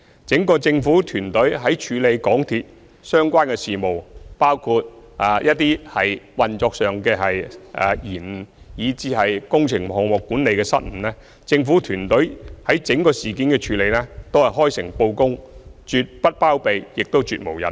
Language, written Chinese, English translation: Cantonese, 整個政府團隊在處理港鐵公司相關的事務，包括一些運作上的延誤，以至工程項目管理的失誤，都是開誠布公，絕不包庇，亦絕無隱瞞。, The entire governing team has always been forthright in handling matters relating to MTRCL including the delays in some of its operations and the blunders in the management of its works projects . There is absolutely no cover - up or concealment of facts